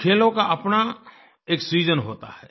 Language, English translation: Hindi, Some games are seasonal